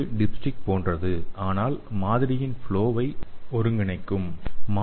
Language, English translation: Tamil, so it is also similar to the dipstick but it will also integrate the flow of the sample